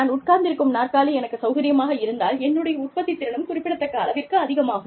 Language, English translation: Tamil, If the chair, that i sit on, is comfortable, my productivity will go up, significantly